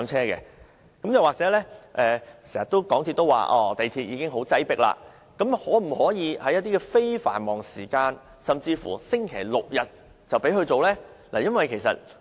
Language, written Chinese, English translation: Cantonese, 港鐵公司經常說港鐵已經很擠迫，但可否在非繁忙時間，甚至星期六、日，才讓動物乘搭？, MTRCL always says that all MTR trains are already very crowded but can it consider allowing animals to travel on MTR during non - peak hours or only on Saturdays and Sundays?